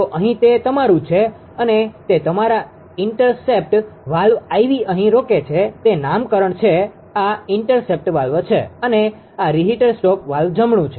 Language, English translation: Gujarati, So, here it is your and it is intercept your intercept valve IV here it is there nomenclature this is intercept valve and, this is reheater stop valve right